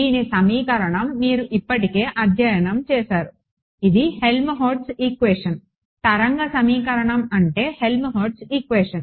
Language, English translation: Telugu, The equation for this you have already studied, it is the Helmholtz equation right a wave equation is the Helmholtz equation